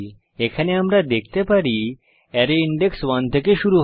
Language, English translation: Bengali, We can see here the array index starts from one